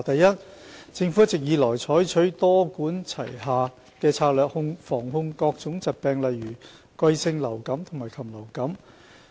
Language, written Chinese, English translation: Cantonese, 一政府一直以來採取多管齊下的策略，防控各種疾病例如季節性流感和禽流感。, 1 The Government has all along adopted a multi - pronged strategy for prevention and control of diseases such as seasonal and avian influenza